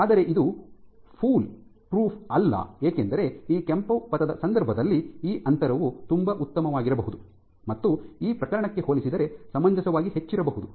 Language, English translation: Kannada, But this is not foolproof because even within here you have cases where in case of this red trajectory this distance might be very good might be reasonably high compared to this case